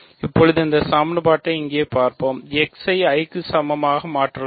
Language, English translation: Tamil, Now, let us look at this equation here and substitute x equal to i